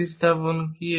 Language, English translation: Bengali, What is the substitution